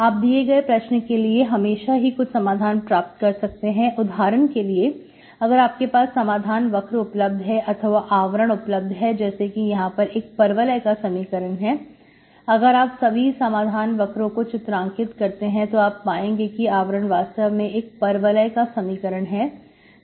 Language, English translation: Hindi, You can always get, certain always solutions, you can always, so for example if you have solution curves, envelopes here, this is the parabola, all these solution curves if you draw, their envelope is actually parabola here